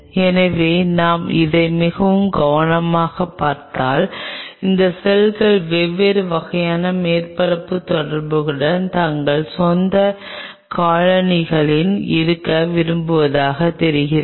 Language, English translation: Tamil, so it seems, if we look at it very carefully, its seems these cells preferred to remain in different kinds, colonies of their own with a different kind of surface interaction [vocalized noise]